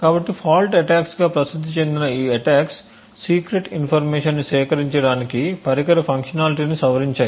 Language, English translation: Telugu, So these attacks popularly known as fault attacks would modify the device functionality in order to glean secrets secret information